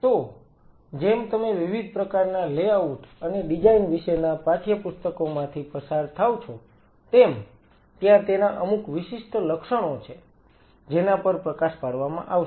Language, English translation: Gujarati, So, as you go through the text books about different kind of layouts and designs there are certain salient features which will be highlighted